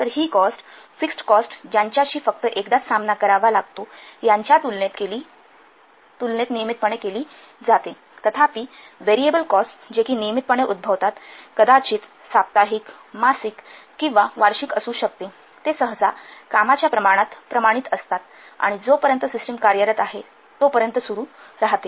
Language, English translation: Marathi, And etc these are one time cost these are known as the fixed costs similarly variable cost so these costs are incurred on a regular basis in contrast to the fixed cost which are but only encountered once they occur only once whereas variable cost they are incurred on a regular basis might be weekly monthly yearly, they are usually proportional to the work volume and continue as long as the system is in operation